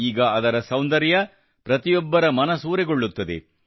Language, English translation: Kannada, Now their beauty captivates everyone's mind